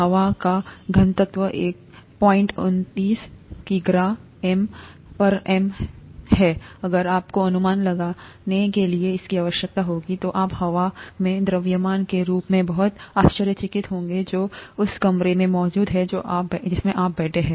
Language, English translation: Hindi, The density of air is one point two nine kilogram per meter cubed, if you you would need that to make an estimate, you would be very surprised as to the a mass of air that is just present in the room that you are sitting